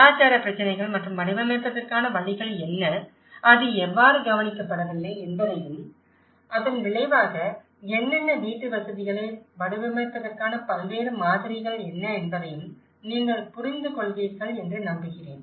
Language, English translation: Tamil, I hope you understand the cultural issues and what are the ways of designing and how it has been overlooked and as a response what are the consequences of it and what are the various models of designing the housing